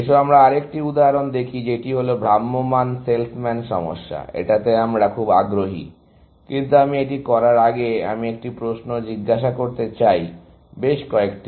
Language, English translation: Bengali, Let us look at another example, which is that traveling salesman problem, which we are so interested in, but before I do that, I want to ask a question, a few